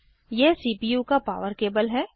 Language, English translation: Hindi, This is the power cable of the CPU